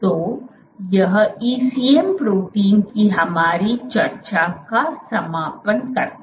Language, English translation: Hindi, So, that concludes our discussion of ECM proteins